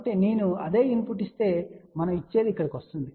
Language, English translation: Telugu, So, whatever we give if I give the same input it will come over here